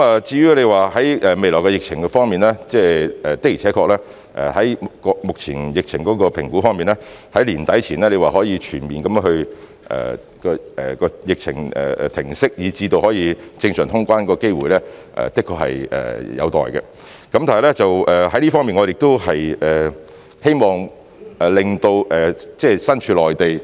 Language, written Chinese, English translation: Cantonese, 至於未來的疫情方面，按目前對疫情的評估，在年底前疫情能否全面停息，以至可以有正常通關的機會，的確是有待觀察，但在這方面，我們希望令身處內地......, As regards the epidemic situation in the future according to the current assessment of the epidemic situation indeed it remains to be seen whether the epidemic will cease completely by the end of this year such that there will be a chance of resuming normal traveller clearance